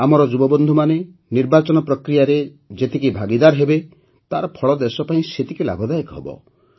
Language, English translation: Odia, The more our youth participate in the electoral process, the more beneficial its results will be for the country